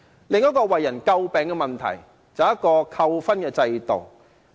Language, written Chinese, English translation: Cantonese, 另一個為人詬病的問題是扣分制度。, Another subject of criticisms is the demerit point system